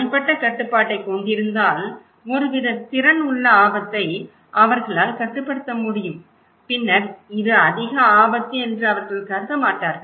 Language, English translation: Tamil, Having personal control, that they can control the risk they have some kind of capacity if they perceived this way, then they don’t consider this is a high risk